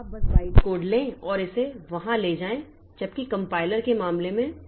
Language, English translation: Hindi, So, you just take the bytecode and take it there